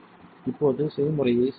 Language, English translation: Tamil, Now save the recipe